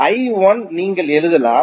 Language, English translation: Tamil, For I 2 what you can write